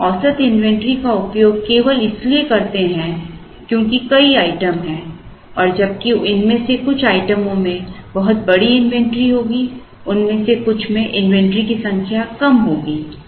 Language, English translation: Hindi, Now, we use average inventory simply because there are multiple items and while some of these items will have very large inventories, some of them will have smaller number of inventory